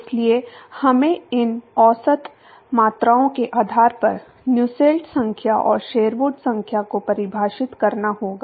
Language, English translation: Hindi, Therefore, we will have to define Nusselt number and Sherwood number based on these average quantities